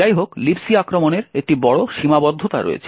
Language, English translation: Bengali, However, there is a major limitation of the return to LibC attack